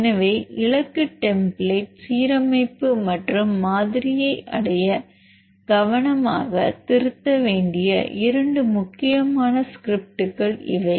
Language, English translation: Tamil, So, these are the two important scripts to be edited carefully in order to perform target template alignment and model building